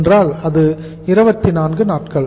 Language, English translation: Tamil, This is 24 days